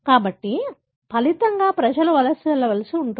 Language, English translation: Telugu, So, as a result the population is forced to migrate